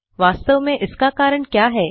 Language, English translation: Hindi, What really caused this